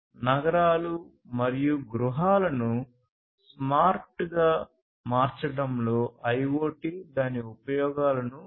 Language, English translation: Telugu, So, IoT finds applications in making cities and homes smart